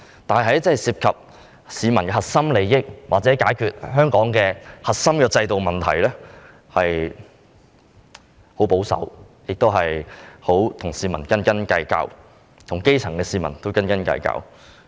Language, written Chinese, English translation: Cantonese, 但是，在涉及市民的核心利益或解決香港的核心制度問題時，政府十分保守，及與市民，尤其是基層市民斤斤計較。, However when the core interests of the public are involved or when dealing with issues relating to the core system the Government is very conservative and excessively mean with the public especially the grass roots